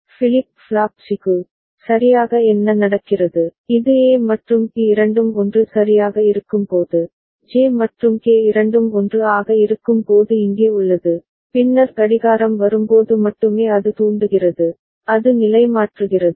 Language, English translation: Tamil, And for flip flop C, what happens right, this is when both A and B are 1 right, then J and K both of them are 1 as is the case over here, then only when the clock comes, it triggers ok, it toggles